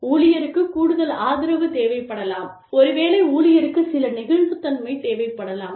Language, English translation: Tamil, There is, maybe, the employee needs additional support, maybe, the employee needs some flexibility, etcetera